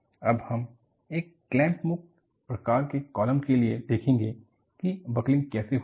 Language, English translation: Hindi, And, we will see for a clamped free type of column, how the buckling occurs